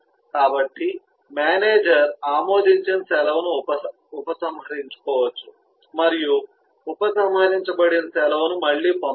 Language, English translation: Telugu, eh, the manager could revoke an approved leave and eh, a revoked leave cannot be availed